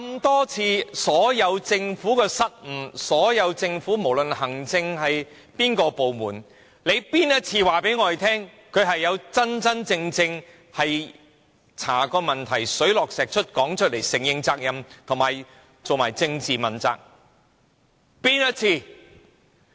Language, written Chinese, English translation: Cantonese, 多年來，政府所有的失誤，不論哪個行政部門，哪一次能告訴公眾，他們真正調查過問題，並查得水落石出，承認責任，以及進行政治問責。, Over the years the Government has made so many mistakes but has any government department any department at all ever told the public that it has looked into all problems and ascertained the truth and is prepared to admit its faults and hold itself politically accountable?